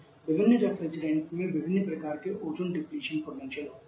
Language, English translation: Hindi, Different refrigerants has different kind of ozone depletion potential